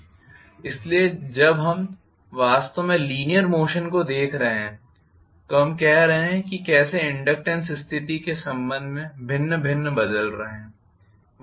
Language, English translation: Hindi, So, when we are actually looking at you know the linear motion for that we are saying that how the inductances varying with respect to the position